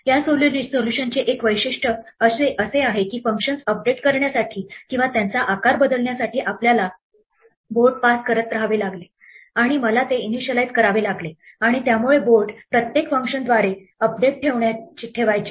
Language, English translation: Marathi, One feature of this solution is that we had to keep passing the board through the functions in order to update them or to resize them and I had to initialize them and so on because the board had to kept updated through each function